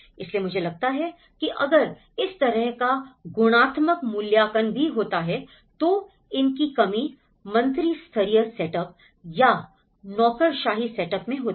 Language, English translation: Hindi, So, I think if this kind of qualitative assessment also is there, then these are lacking in the ministerial setup or in a bureaucratic setup